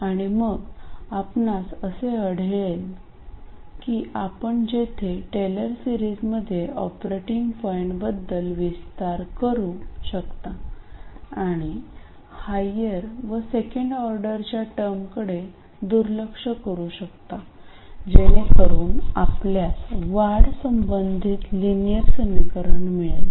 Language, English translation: Marathi, And then you find that wherever you have a non linearity, you can expand it in a Taylor series about the operating point and neglect higher order terms, that is second and higher order terms, then you will be left with a linear equation relating the increments